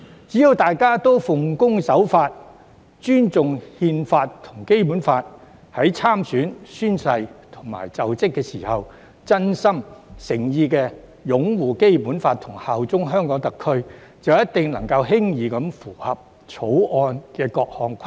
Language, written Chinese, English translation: Cantonese, 只要大家奉公守法，尊重憲法和《基本法》，在參選、宣誓及就職時真心、誠意地擁護《基本法》和效忠香港特區，必定能夠輕易符合《條例草案》的各項規定。, As long as members are law - abiding respect the Constitution and the Basic Law as well as uphold the Basic Law and bear allegiance to HKSAR sincerely and solemnly when running for election taking the oath of office and assuming office they will be able to easily comply with all the requirements of the Bill